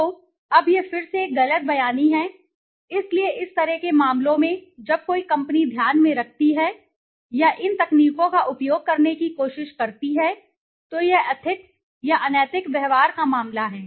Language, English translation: Hindi, So, now this is something a misrepresentation again, so in such kind of cases when a company takes into account or tries to use these techniques it is the case of un ethics or unethical behavior